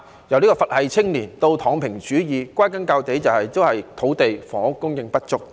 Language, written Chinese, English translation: Cantonese, 由"佛系青年"直至"躺平主義"，歸根究底，都是土地、房屋供應不足所致。, They have even discouraged young people from making more efforts turning their attitude from Buddhist - style to Lying flat - ism . These are all attributable to an inadequate supply of land and housing